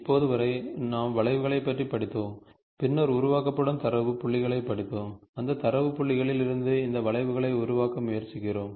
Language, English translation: Tamil, So, whatever we studied till now, we studied curves, then we studied of the data points, which are generated, and from that data points, we are trying to form these curves